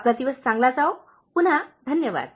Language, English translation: Marathi, Have a nice day, thanks again